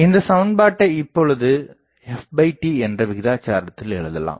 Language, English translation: Tamil, So, this expression can be related to f by d ratio